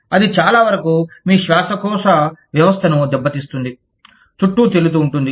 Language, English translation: Telugu, That can likely, very likely, damage your respiratory system, would be floating around